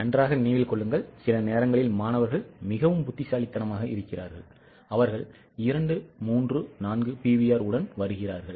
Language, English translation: Tamil, And mind well, sometimes students are so intelligent that they come out with two, three, four PVRs because it is asked in the problem